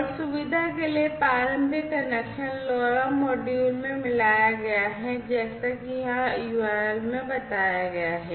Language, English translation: Hindi, And the initial connections for convenience have been soldered in the LoRa module as mentioned in the URL over here, right